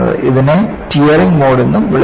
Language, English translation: Malayalam, And, this is also called as Tearing Mode